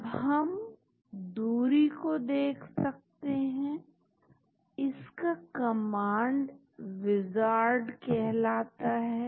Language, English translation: Hindi, Now, we can also look at the distances that command is called wizard